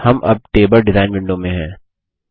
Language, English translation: Hindi, Now we are in the table design window